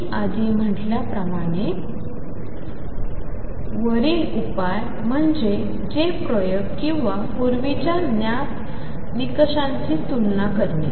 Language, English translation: Marathi, As I said earlier is the solution of this and comparison with the experiments or earlier known results